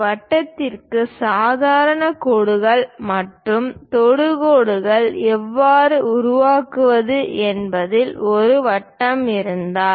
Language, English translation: Tamil, And if there is a circle how to construct normal lines and tangent lines to the circle